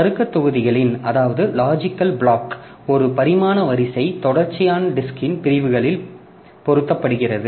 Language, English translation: Tamil, The one dimensional array of logical blocks is mapped onto the sectors of the disk sequentially